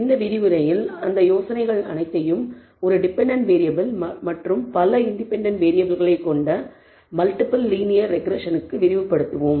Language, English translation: Tamil, In this lecture we will extend all of these ideas to multiple linear regression which consists of one dependent variable, but several independent variables